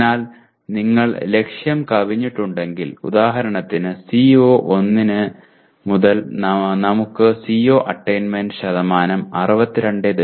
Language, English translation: Malayalam, So if you have exceeded the target like for example in CO1 we got CO attainment percentage 62